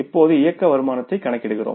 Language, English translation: Tamil, So, finally let us now find out the operating income